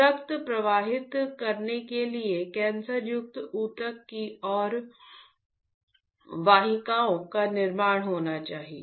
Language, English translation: Hindi, So, for flowing the blood there should be a creation of vessels towards the cancerous tissue